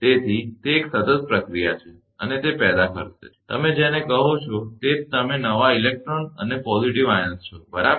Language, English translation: Gujarati, So, it is a continuous process and it will produce, your what you call more you’re a new electrons and positives ions, right